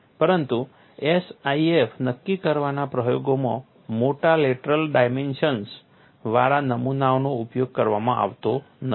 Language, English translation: Gujarati, But in experiments to determine SIF, specimen with large lateral dimensions is not employed